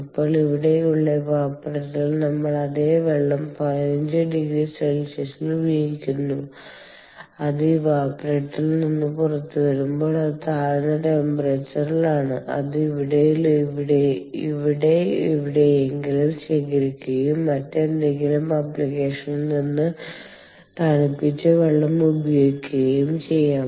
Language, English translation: Malayalam, we use the same water at fifteen degree centigrade and when it comes out of the evaporator it is at a lower temperature and which we can collect somewhere here and use the chilled water from some other application